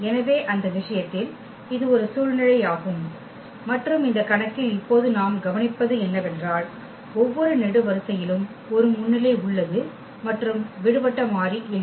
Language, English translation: Tamil, So, in that case this was a situation and what we observe now for this case that we have the every column has a pivot and there is no free variable